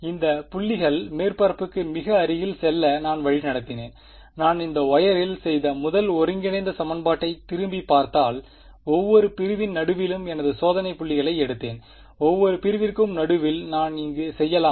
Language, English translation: Tamil, I led these points go very close to the surface, if you look thing back at the first integral equation that I did that wire where did I pick my testing points middle of each segment; can I do middle of each segment here